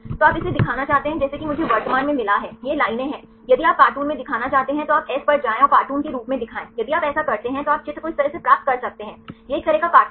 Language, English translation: Hindi, So, you want to show this as I got currently it is lines if you want to show in cartoon right then you go to S and show as cartoon if you do like this, then you can get the picture figure like this; it is a kind of cartoon